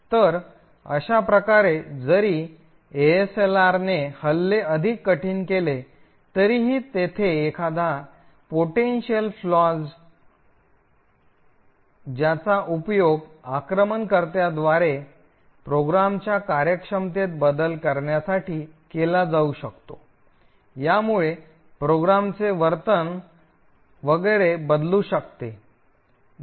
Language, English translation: Marathi, So in this way even though ASLR actually makes attacks much more difficult but still there are potential flaws which an attacker could use to manipulate the working of the program, it could actually change the behaviour of the program and so on